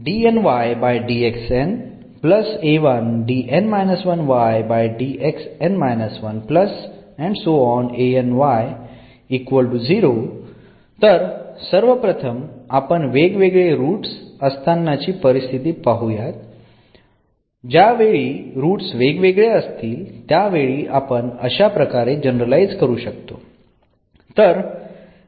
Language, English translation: Marathi, So, first getting back to the distinct roots, so when we have distinct root we can also generalize this